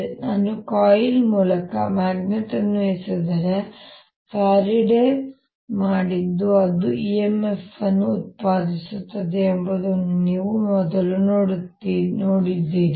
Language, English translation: Kannada, so this is a first that you have seen that if i throw a magnet through a coil this is which is what faraday did that produces an e m f in that